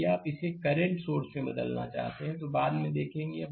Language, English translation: Hindi, If you want to convert it to current source, later we will see